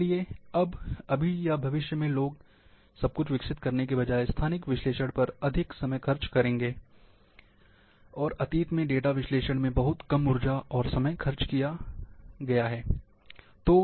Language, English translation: Hindi, Therefore, in now, or in future, people will be spending more time, on spatial analysis, rather than preparing everything, for the data analysis, and very little time in energy , spend for data analysis, as in the past